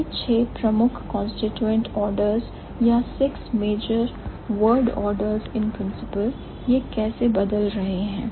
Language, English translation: Hindi, So, the six major constituent orders, or the six major word orders, in principle how they are changing